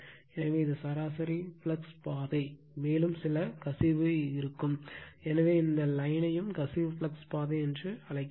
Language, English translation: Tamil, So, this is the mean flux path, and there will be some leakage so, this line also so some leakage flux path right